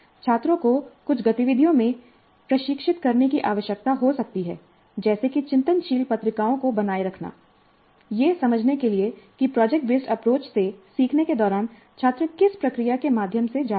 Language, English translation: Hindi, And the students may need to be trained in certain activities like maintaining reflective journals to get a kind of understanding of what is the process through which the students are going while learning from the product based approach